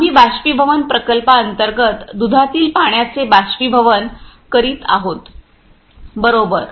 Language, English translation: Marathi, So, in evaporation plant we evaporated water and concentrate milk